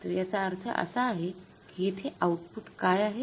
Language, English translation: Marathi, So, it means now what is the output here